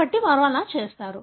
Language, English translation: Telugu, So, that is how they have done